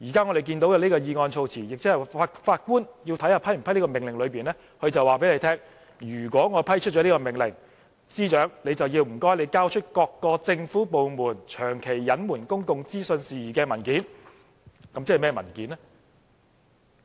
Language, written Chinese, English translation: Cantonese, 我們現在看到的議案措辭，即法官要考慮是否批出的這個命令，他就是在告訴大家，如果批出這個命令，便請司長交出各個政府部門長期隱瞞公共資訊事宜的文件，即甚麼文件呢？, The wording of the motion that we see―ie what the judge will see in order to consider whether to issue an injunction―is that he is telling everyone that if this order is approved he can request the Secretary for Justice to hand over documents on the issue of government departments withholding public information for a prolonged period of time . What documents are meant by these documents?